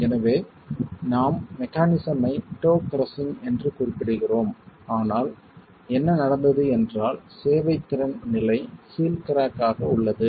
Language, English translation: Tamil, So, we refer to the mechanism as toe crushing, but what has happened at the serviceability state is heel cracking